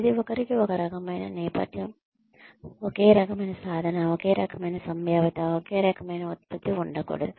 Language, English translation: Telugu, Everybody cannot have the same kind of background, same kind of achievement, same kind of potential, the same kind of output